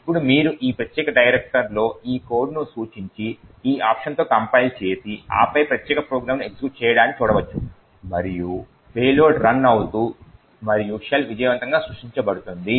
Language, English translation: Telugu, Now you can refer to this code in this particular directory and compile it with these options and then see this particular program executing and have the payload running and the shell getting created successfully